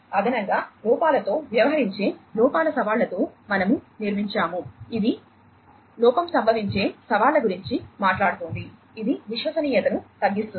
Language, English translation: Telugu, So, additionally, we have built with the challenges of errors dealing with errors we are talking about error prone challenges, which decreases the reliability